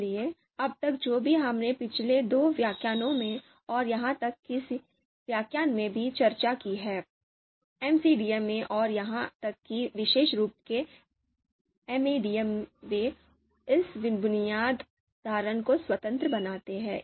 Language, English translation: Hindi, So till now whatever we have discussed in previous two lectures and even in this lecture, most of the methods you know in MCDM and even specifically in MADM, they make this basic assumption that criteria are independent